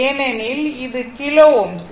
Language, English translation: Tamil, It is kilo ohm